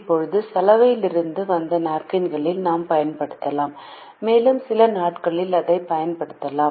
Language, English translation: Tamil, now we can also use napkins that have come from the laundry and we can put it to use on certain days